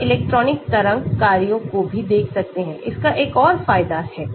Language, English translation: Hindi, We can look at electronic wave functions also , that is another advantage of that